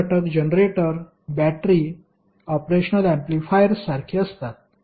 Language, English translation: Marathi, Active elements are like generators, batteries, operational amplifiers